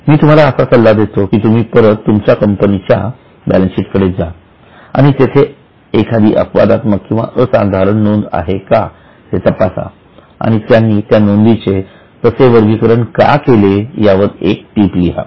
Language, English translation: Marathi, So, I will advise you now you go back to your balance sheet for your own company, check if there are any exceptional or extraordinary items and write a note as to why they are classified so